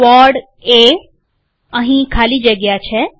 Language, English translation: Gujarati, Quad A, heres the space